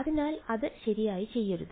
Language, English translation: Malayalam, So, do not do it like that right